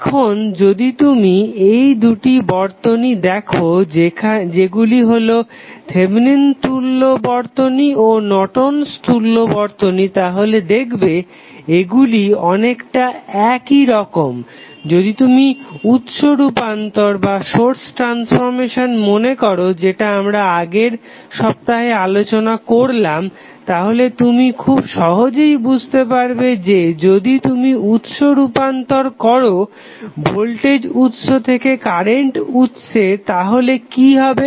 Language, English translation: Bengali, Now, if you see this these two circuits that is Thevenin and Norton's equivalent they looks very similar in the fashion that if you recollect the source transformation what we discussed in previous week so you can easily understand that if you carry out the source transformation from voltage source to current source what will happen